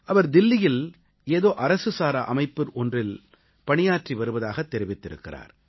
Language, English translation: Tamil, He says, he stays in Delhi, working for an NGO